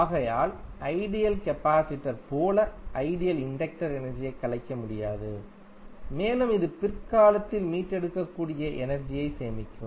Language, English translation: Tamil, Therefore, the ideal inductor, like an ideal capacitor cannot decapitate energy and it will store energy which can be retrieve at later time